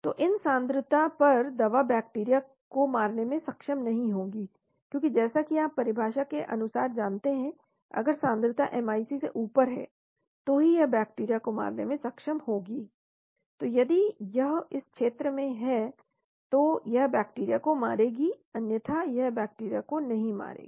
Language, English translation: Hindi, So at these concentrations the drug will not be able to kill the bacteria, because as you know as per definition only if the concentration is above MIC it will kill the bacteria, so if it is here in this region it will kill the bacteria otherwise it will not kill the bacteria